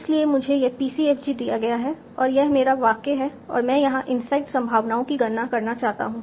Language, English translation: Hindi, So I am given this PCFG and this is my sentence and I want to compute the inside probabilities here